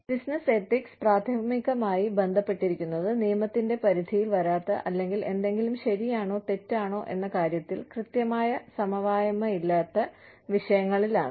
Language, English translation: Malayalam, Business ethics is primarily concerned, with those issues, not covered by the law, or where there is no definite consensus on, whether something is right or wrong